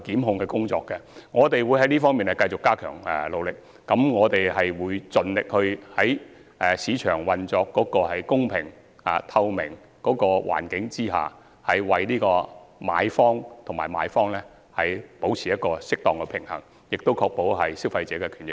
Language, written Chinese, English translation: Cantonese, 我們會繼續在這方面加緊努力，盡力讓市場在公平及透明的環境下運作，為買賣雙方保持適當的平衡，並確保消費者的權益。, We will continue to step up our efforts in this regard by providing a level and transparent playing field for the market striking a proper balance between protection for purchasers and for vendors and safeguarding the rights and interests of consumers